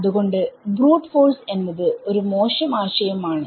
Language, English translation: Malayalam, So, brute force is a bad idea